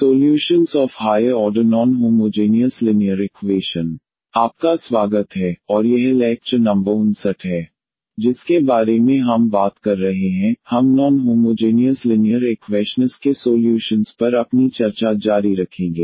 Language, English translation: Hindi, So, welcome back and this is lecture number 59 we will be talking about we will continue our discussion on solution of non homogeneous linear equations